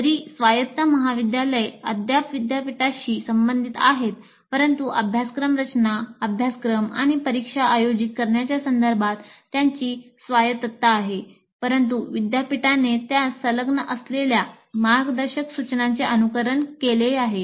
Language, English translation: Marathi, Whereas autonomous college is still affiliated to a university, but they have autonomy with respect to the curriculum design and conducting the course and conducting the examination, but with following some guidelines stipulated by the university to which they're affiliated